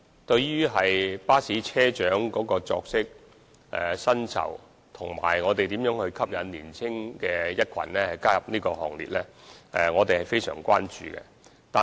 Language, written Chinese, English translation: Cantonese, 對於巴士車長的作息和薪酬，以及如何吸引年青人加入這個行列，我們是非常關注的。, We are very much concerned about the rest times and salaries of bus captains as well as how young people can be attracted to the ranks of bus captains